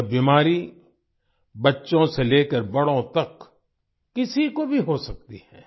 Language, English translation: Hindi, This disease can happen to anyone from children to elders